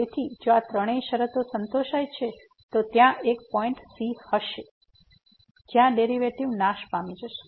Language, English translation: Gujarati, So, if these three conditions are satisfied then there will exist a point where the derivative will vanish